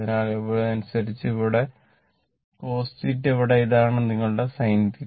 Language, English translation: Malayalam, So, accordingly this here it is cos theta and here this one is your sin theta